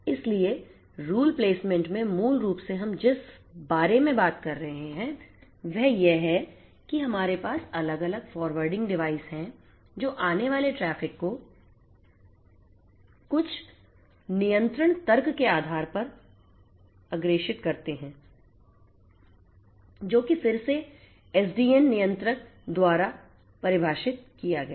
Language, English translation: Hindi, So, in the rule placement basically what we are talking about is that we have different forwarding devices that forward the incoming traffic based on certain control logic that is again defined by the SDN controller